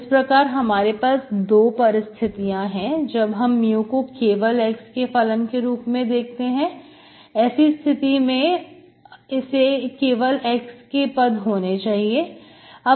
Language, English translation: Hindi, So you have 2 cases, when you look for mu is the function of x alone, if you want, this has to be, this has to be function of x alone